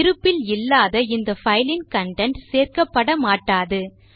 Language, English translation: Tamil, So the content of the file which doesnt exist, wont be included